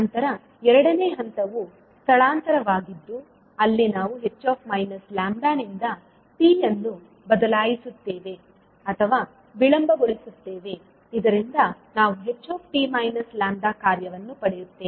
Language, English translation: Kannada, Then second step is displacement where we shift or delay the h minus lambda by t so that we get the function h t minus lambda